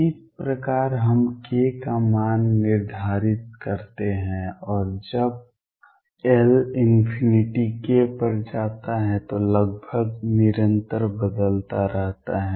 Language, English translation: Hindi, This is how we fix the value of k and when L goes to infinity k changes almost continuously